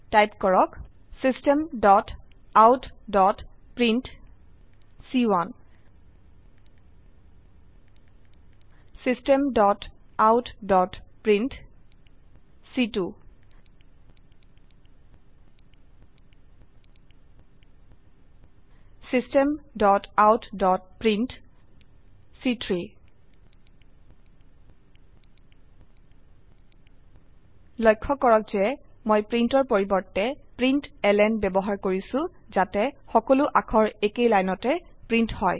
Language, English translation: Assamese, type, System.out.print System.out.print System.out.print Please note that Im using print instead of println so that all the characters are printed on the same line